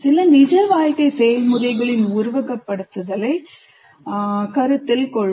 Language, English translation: Tamil, Now, let us go to simulation of some some real life processes